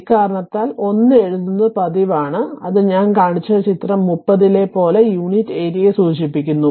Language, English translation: Malayalam, Due to this reason, it is customary to write 1, that is denoting unit area as in figure 30 I showed you